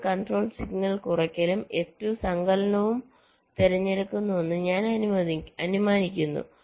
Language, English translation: Malayalam, so i am assuming that f one, the control signal, selects subtraction and f two selects addition